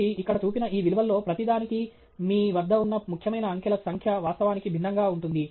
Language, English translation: Telugu, So, here you have the number of significant digits is actually different for each of these values that is shown here